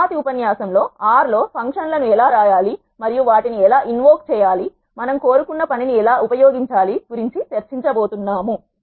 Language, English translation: Telugu, In the next lecture we are going to discuss about how to write functions in R, and how to invoke them, how to use them to perform the task we wanted